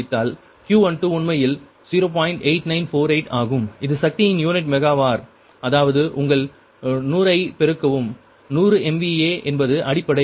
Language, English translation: Tamil, ah it power unit, megawatt, that is multiply your hundred hundred m is the base